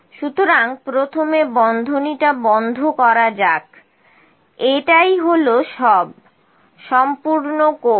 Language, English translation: Bengali, So, first let me close the bracket this is all complete course